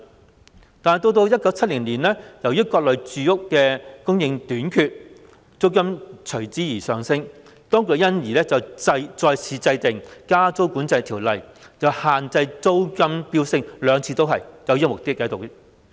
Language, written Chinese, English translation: Cantonese, 不過，到了1970年，由於各類住屋供應短缺，租金上升，當局因而再次制定《加租管制條例》，限制租金飆升，兩次立法均具有這項目的。, Yet in view of the shortage of supply in various categories of housing units and soaring rents the authorities enacted the Rent Increases Control Ordinance again in 1970 to arrest the soaring rents . The two legislative exercises were carried out with this objective